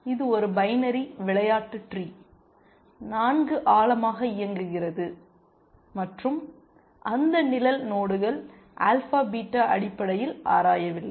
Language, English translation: Tamil, It is a binary game tree 4 ply deep and those shaded nodes are the ones which alpha beta did not explore essentially